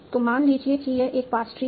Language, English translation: Hindi, So, suppose this is one past tree